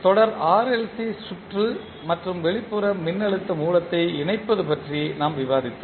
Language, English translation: Tamil, When we discussed the series RLC circuit and having the external voltage source connected